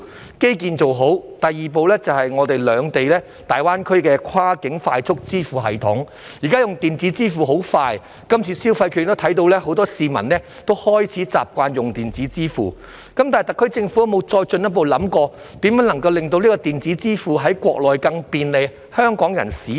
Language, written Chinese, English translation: Cantonese, 當基建做好，第二步便是融合兩地在大灣區的跨境快速支付系統，現在用電子支付很快，從這次消費券計劃亦可看到很多市民開始習慣使用電子支付，但特區政府有否進一步想過如何可讓香港人在國內更便利使用電子支付？, When the infrastructures are ready the second step is to integrate the two places cross - border fast payment systems in GBA . Nowadays the use of electronic payment is very fast and we can see from the Consumption Voucher Scheme this time that many members of the public are getting used to making payment by electronic means . However has the SAR Government further considered how to make it more convenient for Hong Kong people to use electronic payment in the Mainland?